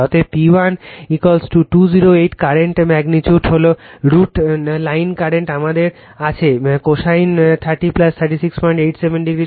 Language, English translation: Bengali, Therefore, P 1 is equal to 208 current magnitude is I L line current we got to all right into cosine thirty plus 36